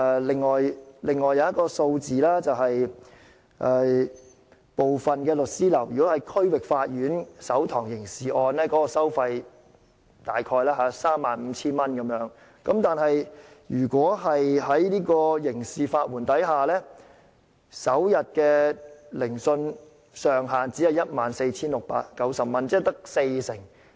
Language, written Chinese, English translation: Cantonese, 另外一個數字是，如果是區域法院審訊的首堂刑事案件，部分律師樓的收費約為 35,000 元，但如果在刑事法援制度下，首天聆訊上限只是 14,690 元，即約市場收費的四成。, Another number I wish to mention is that for the first hearing of a criminal case in the District Court some law firms charge about 35,000 but under the criminal legal aid system the ceiling on the fee for first - day hearings is only 14,690 approximately 40 % of the market rate